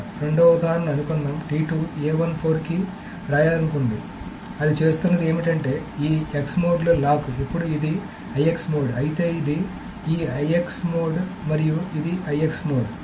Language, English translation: Telugu, So what it should be doing is that it is going to lock this in X mode, then this is IX mode, this is IX mode, and this is IX